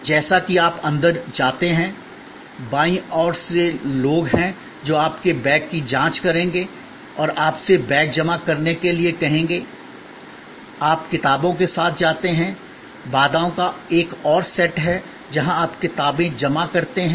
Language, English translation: Hindi, As you go in, on the left hand side there are people who will check your bag and will ask you to deposit the bag, you go in with the books, there is another set of barriers, where you deposit the books